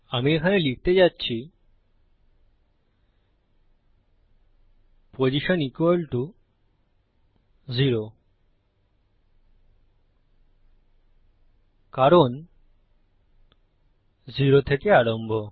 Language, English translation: Bengali, Im going to type up here postion = 0, since 0 is the beginning